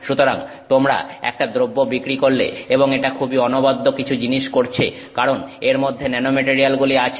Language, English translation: Bengali, So, you sell a product and it is doing something very unique because it has nanomaterials in it